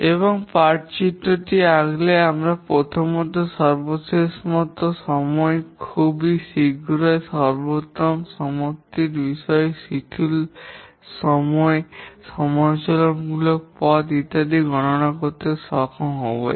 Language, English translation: Bengali, And once we draw the pot diagram, we should be able to compute the earliest, latest starting times, earliest latest completion times, slack times, critical path and so on